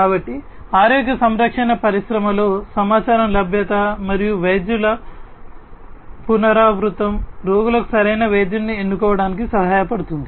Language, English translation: Telugu, So, in the health care industry availability of the information and repetition of doctors helps the patients to choose the right doctor